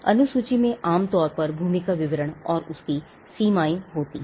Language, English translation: Hindi, The schedule normally has the description of the land the extent of it and the boundaries of it